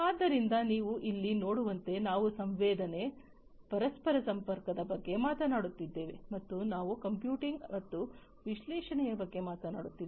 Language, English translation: Kannada, So, as you can see over here we are talking about sensing we are talking about interconnectivity, and we are talking about computing and analytics